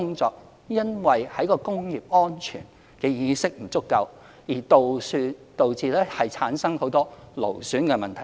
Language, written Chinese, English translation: Cantonese, 當然，在工業安全意識不足下，有很多工作會導致勞損的問題。, Certainly if the awareness of occupational safety is low many job types will cause musculoskeletal disorder